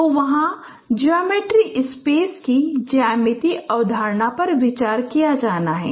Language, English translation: Hindi, So, there the geometry concept of geometry space those are those are to be considered